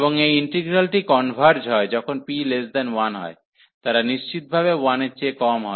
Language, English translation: Bengali, And this integral converges when p is less than 1, they strictly less than 1